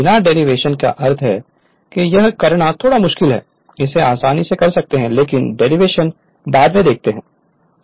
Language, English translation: Hindi, Derivation I mean without derivation also it just little bit difficult do it you can easily do it this, but derivation is there later right